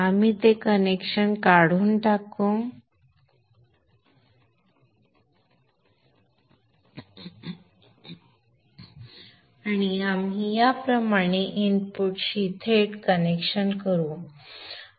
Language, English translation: Marathi, We will remove that connection and we will make a direct connection to the input like this